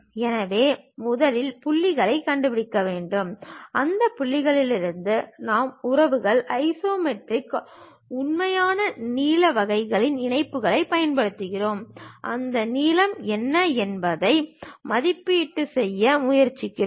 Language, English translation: Tamil, So, first we have to locate the points, from those points we use the relations isometric true length kind of connections; then try to evaluate what might be that length